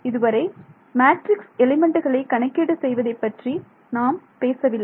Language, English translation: Tamil, So, far we did not talk at all about how we will calculate matrix elements right